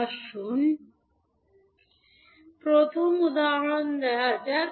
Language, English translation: Bengali, Let us take first example